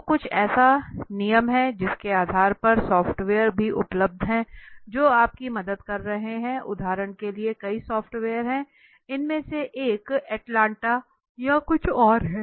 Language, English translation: Hindi, So there are certain rules on the basis of which even the software today are available which are helping you in for example there are several software I think one of them is Atlanta or something